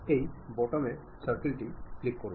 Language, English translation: Bengali, Click this button circle